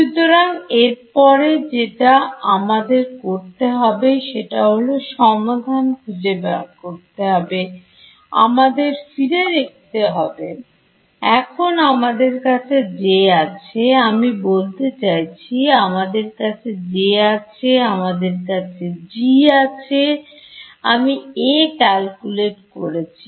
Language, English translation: Bengali, So, the next think that I have to do is find out so, look back over here at the steps I had do I have my J now; I mean I had my J, I had my G, I calculated A